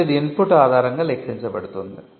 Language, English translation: Telugu, Now, this is computed based on the input